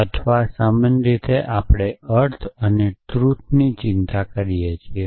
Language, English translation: Gujarati, Or in general we are concern with meaning and truth